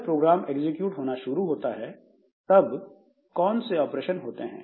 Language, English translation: Hindi, So, what are the operations to be done when this program starts executing